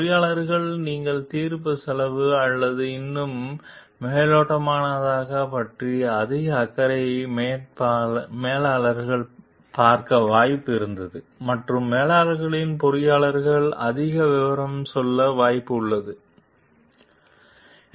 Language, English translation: Tamil, The engineers were likely to see managers as more concerned about cost or more superficial in their judgment and the managers were will be the engineers is likely to go into too much detail